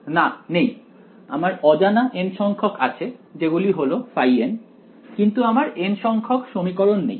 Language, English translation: Bengali, Not really I have n unknown for sure which are the phi ns, but I do not have n equations in them